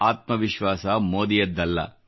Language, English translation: Kannada, The confidence was not Modi's